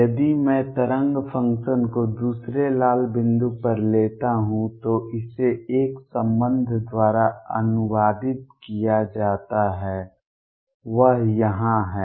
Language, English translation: Hindi, If I take the wave function on the other red point translate it by a the relationship is given, that is here